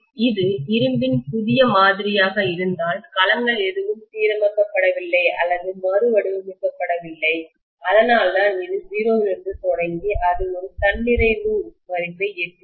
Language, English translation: Tamil, If it is a new sample of iron none of the domains have been aligned or realigned, that is why it started from 0 and it reached a saturation value